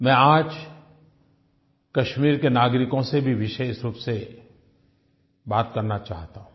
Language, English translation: Hindi, I also wish today to specially talk to those living in Kashmir